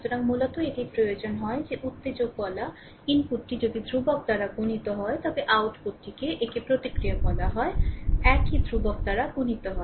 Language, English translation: Bengali, So, basically it requires that if the input that is called the excitation is multiplied by the constant, then the output it is called the response is multiplied by the same constant